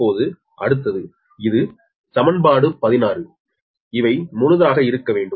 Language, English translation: Tamil, next is that this is equation sixteen